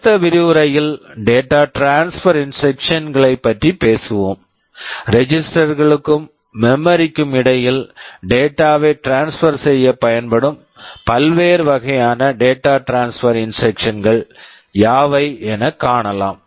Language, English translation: Tamil, In the next lecture, we shall be talking about the data transfer instructions; what are the various kinds of data transfer instructions that can be used to transfer data between registers and memory